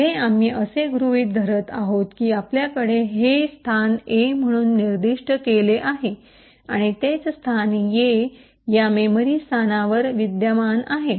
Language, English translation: Marathi, Further we assume that we have this location specified as A and the same location A is present in this memory location